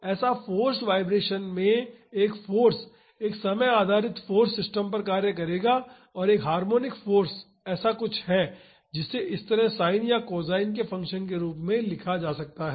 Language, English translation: Hindi, It so, in forced vibration, a force a time varying force will be acting on the system and a harmonic force is something which can be written like this that is as a function of sin or cosine